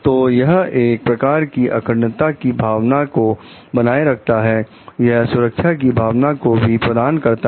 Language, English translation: Hindi, So, this gives a sense of integrity, this gives a sense of like safety